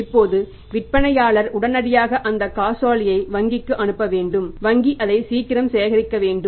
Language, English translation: Tamil, Now seller has to immediately send that check to the bank and bank has to collect it as early as possible